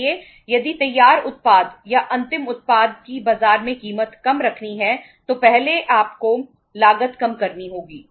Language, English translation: Hindi, So if the price has to be kept low in the market of the finished product or the final product you have to first reduce the cost